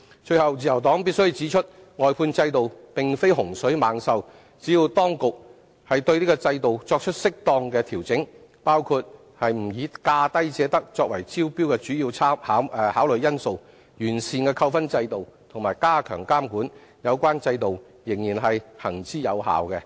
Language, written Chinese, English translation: Cantonese, 最後，自由黨必須指出，外判制度並非洪水猛獸，只要當局對制度作出適當調整，包括不以"價低者得"作為招標的主要考慮因素、完善扣分制度及加強監管，有關制度仍然行之有效。, Lastly the Liberal Party must point out that the outsourcing system is not a scourge . As long as the authorities effect appropriate adjustments to the system including refraining from taking lowest bid wins as the primary consideration of tenders perfecting the demerit point system and enhancing supervision such a system will remain effective